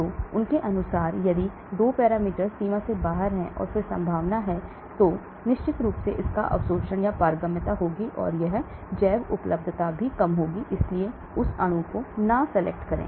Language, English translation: Hindi, So according to them if 2 parameters are out of range, and then chances are, it will definitely have a poor absorption or permeability, and bio availability also will be low, so do not take up that molecule